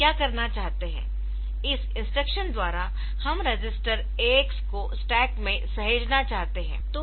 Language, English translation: Hindi, So, what we want to do is we want to set the register AX into stack